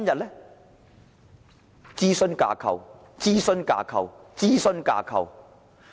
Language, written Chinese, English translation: Cantonese, 是諮詢架構、諮詢架構、諮詢架構。, It is all about advisory frameworks advisory frameworks and advisory frameworks